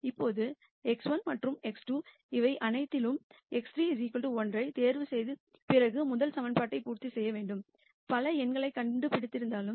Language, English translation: Tamil, Now x 1 and x 2 you could have found several numbers to satisfy the first equation after you choose x 3 equal to 1 of all of these this solution says this minus 0